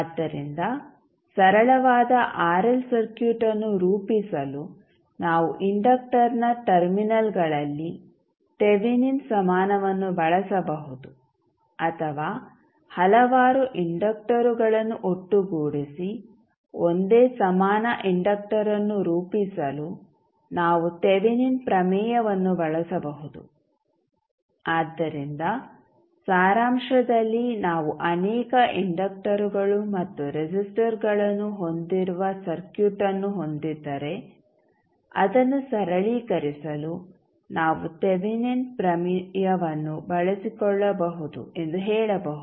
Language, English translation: Kannada, So, we will use Thevenin equivalent at the terminals of the inductor to form a simple RL circuit or we can use Thevenin theorem when several inductors can be combine to form a single equivalent inductor, so in summery we can say that if we have circuit where we have multiple inductors and resistors we can utilize the Thevenin theorem to simplify the circuit